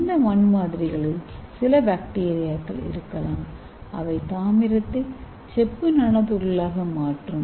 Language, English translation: Tamil, So those soil samples may have some bacteria which can convert your copper into copper nanoparticles